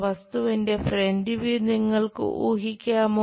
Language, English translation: Malayalam, Can you guess the object front view